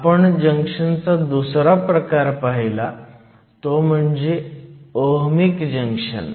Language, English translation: Marathi, The other type of junction that we saw was the Ohmic junction